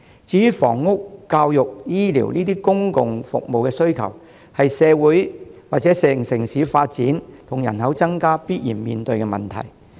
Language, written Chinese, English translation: Cantonese, 至於房屋、教育、醫療這些公共服務需求，是城市發展和人口增加必然面對的問題。, Urbanization and population growth will necessarily lead to demands for public services such as housing education and health care